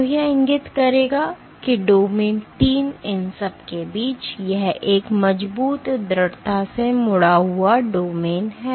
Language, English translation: Hindi, So, this would indicate that domain 3 is among the it is a strong strongly folded domain